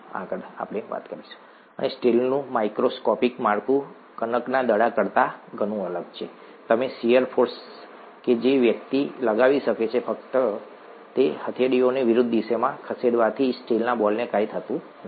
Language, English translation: Gujarati, And the microscopic structure of steel is very different from that of the dough ball, and with the shear forces that one is able to exert, just by moving the palms in opposite directions, nothing happens to the steel ball